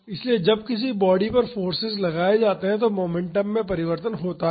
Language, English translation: Hindi, So, when the forces applied to a body there will be a change of momentum